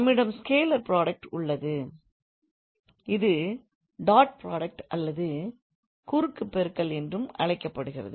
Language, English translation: Tamil, We either have scalar product which is also called as dot product or the cross product